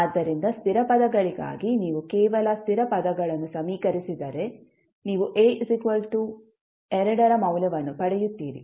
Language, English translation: Kannada, So, for constant terms, if you equate the only constant terms, you will simply get the value of A that is equal to 2